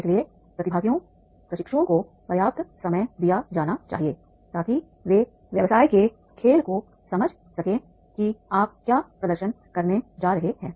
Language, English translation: Hindi, So enough time is to be given to the participants, trainees, that is they understand the business game what you are going to demonstrate